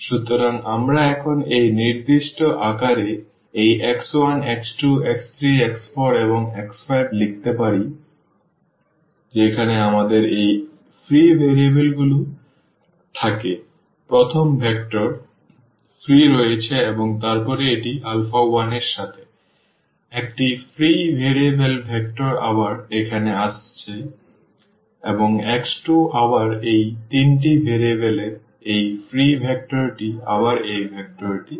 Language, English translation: Bengali, So, we can write down now these x 1, x 2, x 3, x 4 and x 5 in this particular form where we have first vector free from these free variables and then this is with alpha 1, the one free variable the vector again coming here and x 2 again this free vector with this three variable again this vector is coming up